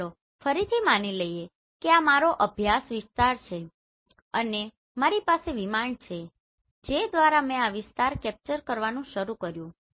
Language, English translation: Gujarati, So let us assume again this is my study area and I have aircraft through which I have started capturing this area